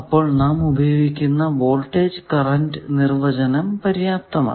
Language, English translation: Malayalam, So, that voltage and current definitions suffice